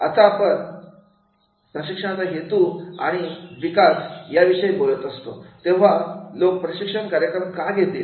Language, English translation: Marathi, Now when when we are talking about the purpose of training and development, right, the why people should attend the training program